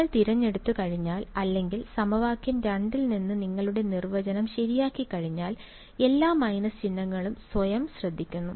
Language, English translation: Malayalam, Once you choose once you fix your definition from equation 2, all the minus signs take care of themselves ok